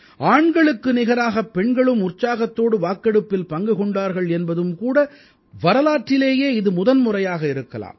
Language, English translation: Tamil, Perhaps, this is the first time ever, that women have enthusiastically voted, as much as men did